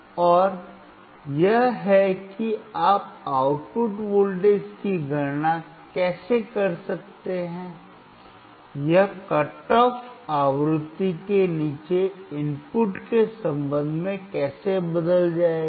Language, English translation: Hindi, And that is how you can calculate the output voltage, how it will change with respect to input below the cut off frequency